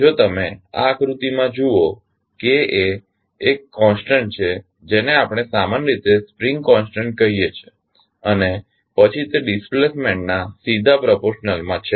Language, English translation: Gujarati, If you see in this figure, K is one constant which we generally call it a spring constant and then it is directly proportional to the displacement